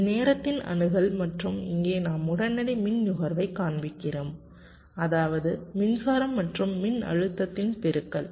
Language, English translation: Tamil, this is the access of time and here we show the instantaneous power consumption, which means the, the product of the current and the voltage